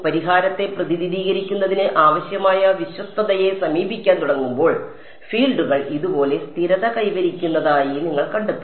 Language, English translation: Malayalam, As you begin to approach the required fidelity for representing the solution, you will find that the fields stabilize like this